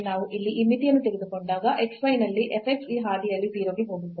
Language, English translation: Kannada, So, here if we take this limit as x y goes to 0 0 f x x y